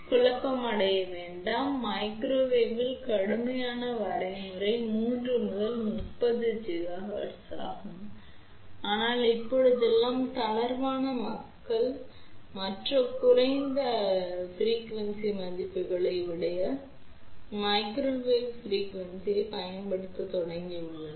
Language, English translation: Tamil, So, do not get confused strict definition of microwave is 3 to 30 gigahertz, but nowadays loosely people have started using even the other lower frequency values also as microwave ok